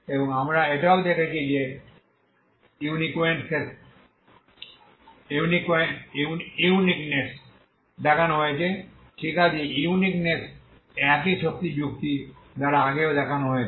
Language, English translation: Bengali, And we also have seen that uniqueness uniqueness is shown, okay uniqueness is shown by the same energy argument earlier